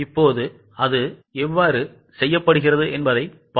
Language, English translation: Tamil, Now let us see how it is done